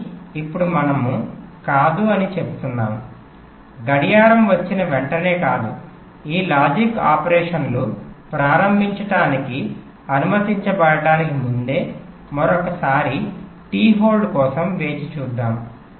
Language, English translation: Telugu, but now we are saying no, not immediately after the clock comes, let us wait for another time t hold before this logic operations is allowed to start